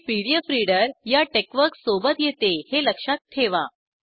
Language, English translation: Marathi, Note that this pdf reader comes along with TeXworks